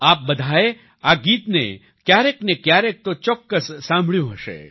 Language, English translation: Gujarati, All of you must have heard this song sometime or the other